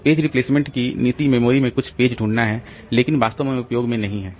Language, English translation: Hindi, So, the policy of page replacement is to find some page in memory but not really in use